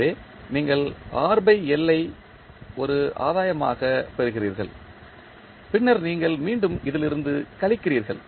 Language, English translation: Tamil, So, you get R by L as a gain and then you again subtract from this